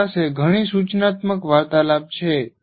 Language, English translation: Gujarati, You have several instructional conversations